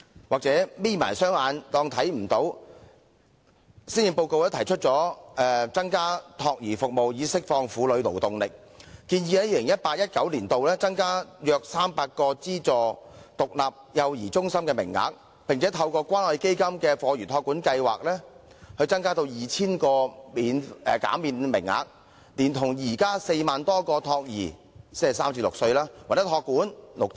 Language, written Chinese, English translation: Cantonese, 或許是"'瞇'起雙眼便看不見"，施政報告提出增加託兒服務以釋放婦女勞動力，建議在 2018-2019 年度增加約300個資助獨立幼兒中心名額，並透過關愛基金的課餘託管收費減免計劃，增加 2,000 個減免名額，以配合現有的4萬多個託兒或託管名額。, Perhaps one cant see with half - closed eyes the Policy Address has proposed to increase child care services to unleash womens working potential by providing in 2018 - 2019 about 300 additional places in aided stand - alone child care centres and 2 000 additional fee - waiving and fee - reduction places under the Fee Waiving Subsidy Scheme for After School Care Programme ASCP through the Community Care Fund on top of the existing 40 000 - odd childcare places or ASCP places